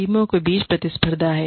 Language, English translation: Hindi, There is competition between teams